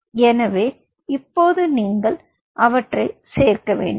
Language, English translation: Tamil, so now you have to add them